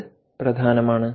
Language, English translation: Malayalam, this is important